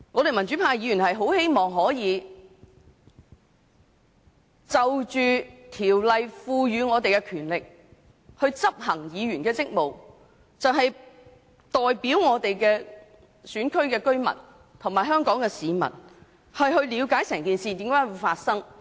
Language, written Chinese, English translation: Cantonese, 民主派議員很希望可以運用《條例》所賦予的權力，執行議員的職務，代表我們選區的居民及香港市民了解整件事的來龍去脈。, Pro - democracy Members on the other hand are very eager to invoke the powers conferred by the Ordinance to discharge our duties and to find out on behalf of the residents of our constituencies and the people of Hong Kong the ins and outs of the incident . In the past we were proud to be citizens of Hong Kong